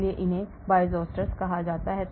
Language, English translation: Hindi, so these are called Bioisosteres